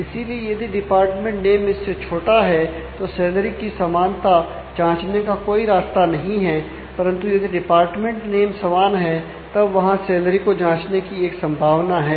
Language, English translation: Hindi, So, if there is if department name is less than is there is no way to check for the equality of salary, but if the department name equals then there is a possibility of checking on the salary